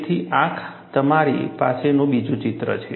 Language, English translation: Gujarati, So, this is the other picture you have